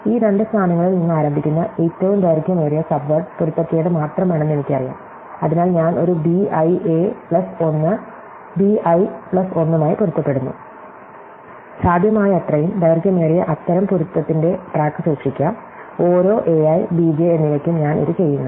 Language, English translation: Malayalam, Then I know that the longest subword starting from these two positions is only mismatch, so I match a b i a plus 1 b i plus 1 as for as possible may keep track of the longest such match, I do this for every a i and b j